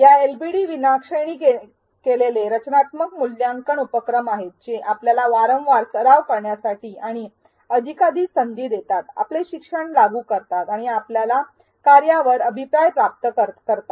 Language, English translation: Marathi, These LbDs are non graded formative assessment activities which provide you with frequent and multiple opportunities to practice, apply your learning and receive feedback on your work